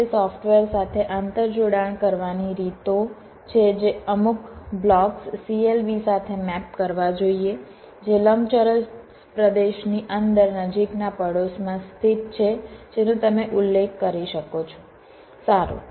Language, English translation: Gujarati, there are ways to inter connect with fpga software to force that certain blocks must be mapped to the clbs which are located in a close neighbourhood, within a rectangular region, those you can specify